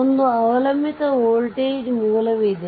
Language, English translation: Kannada, So, dependent voltage source is there